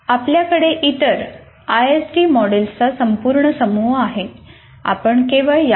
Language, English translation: Marathi, And you have a whole bunch of other ISD models